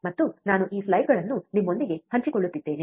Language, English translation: Kannada, And I am sharing this slides with you